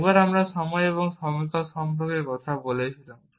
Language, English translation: Bengali, Once we were talking about time and durations